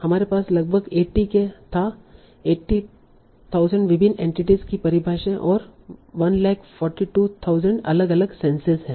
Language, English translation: Hindi, We had roughly 80k, 80,000 different entity definitions and 142,000 different senses